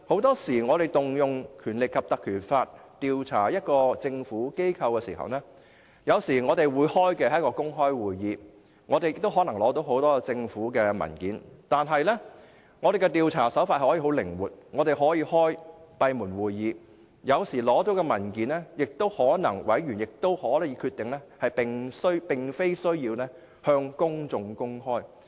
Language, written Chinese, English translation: Cantonese, 在引用《條例》調查政府機構時，專責委員會會舉行公開會議，委員可能會取得很多政府文件，但調查手法可以十分靈活，可以舉行閉門會議，而對於獲取的文件，委員也可以決定無需向公眾公開。, A select committee set up under the Ordinance to inquire into a government body will hold public hearings and its members may have access to many government papers . But it may adopt a flexible approach in the sense that it may hold closed meetings and its members may decide that the papers they obtain are not to be disclosed to the public